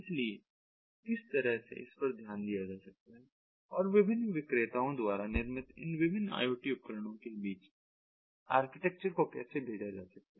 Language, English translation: Hindi, so how that can be taken care of and for how can architecture be sent up between these different iot devices manufactured by different venders